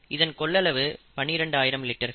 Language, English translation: Tamil, The volume here is twelve thousand litres